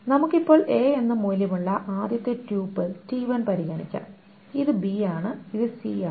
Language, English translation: Malayalam, And let us now consider first triple t1 which has value A and this is B, this is C, this is the values